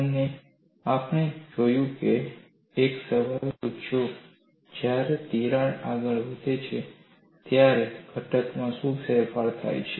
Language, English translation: Gujarati, And we have also looked at and asked the question what are the changes in the component when crack advances